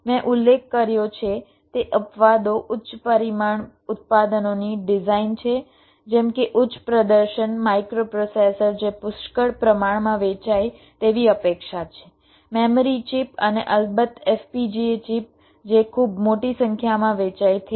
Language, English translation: Gujarati, exceptions, as i mentioned, are the design of high volume products such as high performance microprocessors, which are expected to sold in plenty, memory chips and of course fpga chips, which are also sold in very large numbers